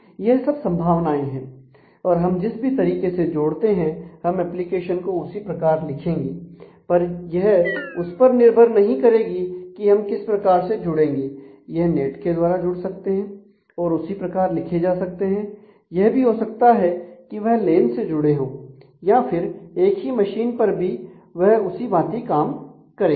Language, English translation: Hindi, So, all of these are possibilities and the way we connect is the way we will write the application will be will not depend on the way these servers are connected between each other we will often assume that as if they are connected over a net and write it in a way so, that even when they may be connected over a LAN or even when they may actually be on the same machine things will work in the same way